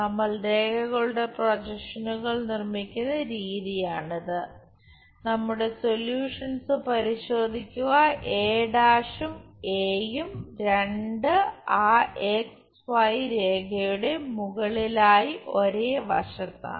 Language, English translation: Malayalam, This is the way we construct projections of lines, check our solution both the points a’ a on one side above that XY line